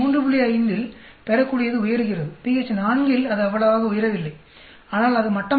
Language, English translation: Tamil, 5 yield is going up, at pH 4 it is not going up as much, but it is sort of flattening